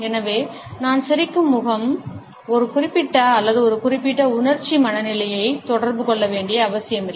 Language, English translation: Tamil, And therefore, I smiling face does not necessarily communicate a particular or a specific emotional state of mind